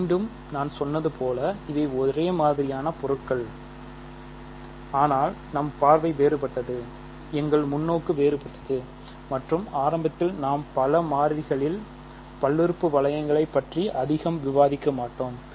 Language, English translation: Tamil, So, and again as I said these are exactly the same objects, but our view is different; our perspective is different and we will not initially at least discuss much about polynomial rings in several variables